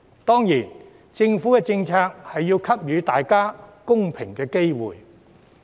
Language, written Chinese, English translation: Cantonese, 當然，政府政策亦要給予大家公平的機會。, Of course government policies must also give everybody a fair opportunity